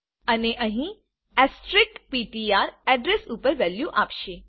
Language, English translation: Gujarati, And here asterisk ptr will give the value at the address